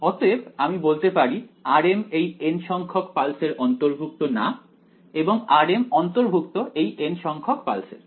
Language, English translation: Bengali, So, I can say that r m belongs to the does not belong to the n th pulse and rm belongs to the n th pulse